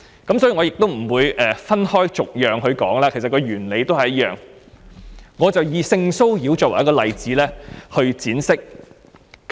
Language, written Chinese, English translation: Cantonese, 因此，我不會分開逐一討論，因為原理都是一樣，我會以性騷擾作為例子闡釋。, Therefore I am not going to discuss each ordinance separately as the underlying principles are the same and I will elaborate by using the example of sexual harassment